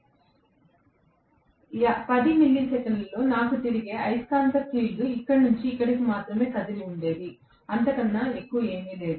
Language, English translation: Telugu, So, in 10 milliseconds my revolving magnetic field would have moved only from here to here, nothing more than that